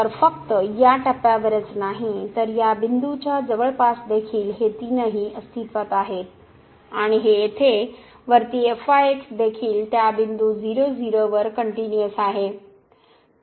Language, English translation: Marathi, So, not only at this point, but also in the neighborhood of this point all these 3 exist and this on the top here is also continuous at that point 0 0